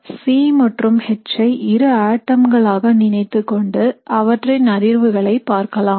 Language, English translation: Tamil, So imagining that these two atoms say C and H and we are looking at the vibration